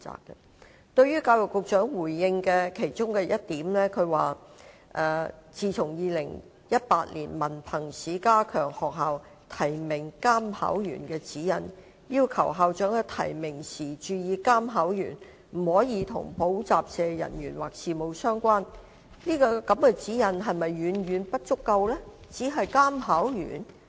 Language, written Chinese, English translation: Cantonese, 就教育局局長回應的其中一點："在2018年文憑試加強學校提名監考員的指引，要求校長在提名時注意監考員不可與補習社人員或事務相關"，這個指引是否遠遠不足？, In respect of the point mentioned by the Secretary for Education in his reply that HKEAA has enhanced the guideline on nomination of invigilators by schools for the 2018 HKDSE . School principals have been advised against nominating as invigilators any person who has any association with tutorial schools is such a guideline far from adequate?